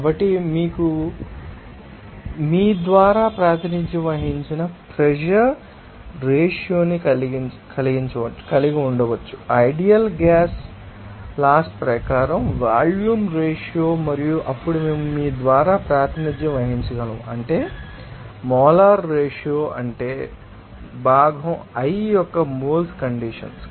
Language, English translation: Telugu, So, we can have this simply the pressure ratio that we represented by you know that volume ratio as per ideal gas law and also we can then represented by you know molar ratio that means, saw moles of component i to it's you know moles at its saturated condition